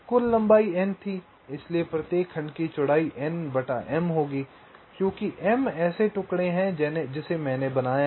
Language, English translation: Hindi, so so width of each segment will be n divide by m, because there are m such pieces i have made